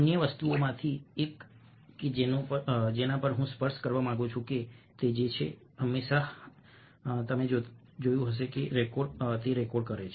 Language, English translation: Gujarati, one of the other things, ah, which i would to touch upon is that someone is always watching or recording